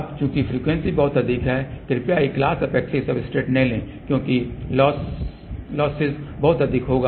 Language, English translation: Hindi, Now, since the frequency is very high please do not take a glass epoxy substrate because losses will be very high